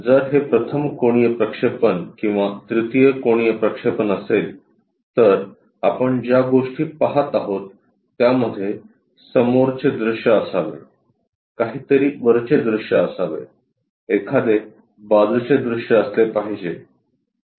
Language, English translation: Marathi, If it is third angle projection or first angle projection, the things what we will see is something there should be a front view, something supposed to be top view, something supposed to be side view